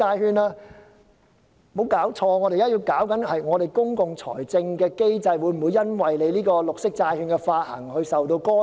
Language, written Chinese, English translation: Cantonese, 局長，別搞錯，我們當前處理的問題，是本港公共財政的機制會否因為這項綠色債券的發行而受到干擾。, Secretary do not get this wrong . The issue we are now addressing is whether the public finance mechanism of Hong Kong will be interrupted by the issuance of the green bonds under discussion